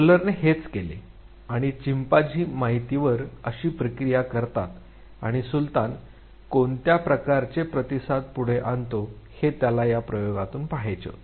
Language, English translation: Marathi, This is what Kohler did and he wanted to see how chimpanzee processes the information and what type of response Sultan come forwarded